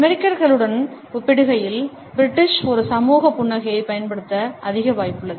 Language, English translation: Tamil, In comparison to the Americans the British perhaps are more likely to use a social smile